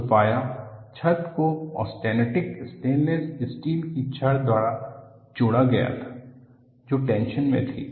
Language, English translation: Hindi, The roof was supported by austenitic stainless steel rods in tension